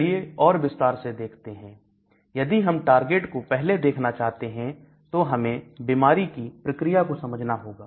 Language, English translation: Hindi, So, if I want to know the target, first I need to understand the disease mechanism